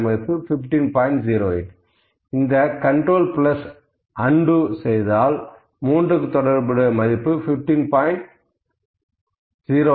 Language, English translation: Tamil, 08, if undo this control plus, these undo you can see value corresponding to 3 is 15